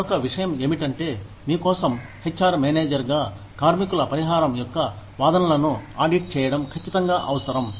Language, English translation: Telugu, The other thing is, it is absolutely essential, as an HR manager for you, to audit the claims of worker